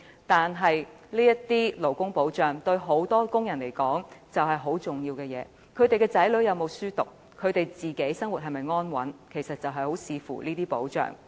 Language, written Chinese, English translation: Cantonese, 但是，這些勞工保障對許多僱員來說，卻很重要。他們的子女能否讀書、他們的生活是否安穩，其實很視乎這些保障。, On the contrary labour protection benefits are vital to employees affecting their childrens education as well as the stability of their lives